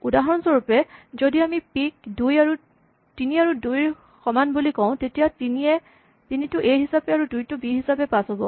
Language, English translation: Assamese, For instance, if we say p is equal to point 3, 2; then 3 will be passed as a, and 2 will be passed as b